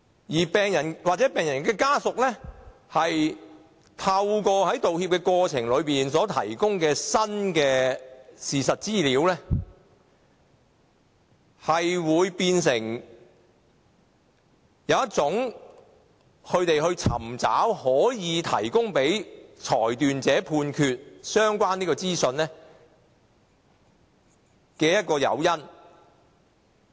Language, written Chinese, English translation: Cantonese, 而病人或病人家屬從道歉過程中得到的新事實資料，會變成他們尋找可以提供予裁斷者作出判決的誘因。, The new factual information conveyed in an apology will provide the incentive for patients or their families to find evidence for the decision maker to make a ruling